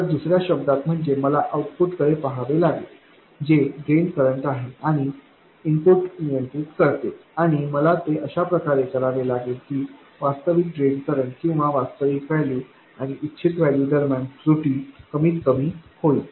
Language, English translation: Marathi, So, in other words, I have to look at the output which is the drain current and control the input and I have to do it in such a way that the error between the actual drain current or the actual value and the desired value becomes smaller and smaller